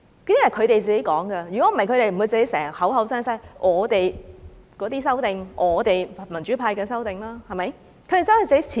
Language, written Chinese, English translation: Cantonese, 不然的話，他們不會經常口口聲聲說我們的修訂、我們民主派的修訂，對不對？, Otherwise they would not have described the amendments as our amendments or amendments of the pro - democracy camp right?